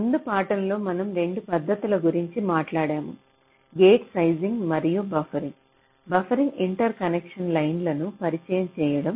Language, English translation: Telugu, in our last lecture, if we recall, we talked about two techniques: gate sizing and buffering, introducing buffering interconnection lines